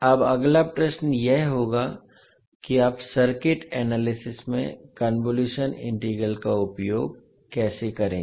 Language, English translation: Hindi, Now the next question would be how you will utilize the convolution integral in circuit analysis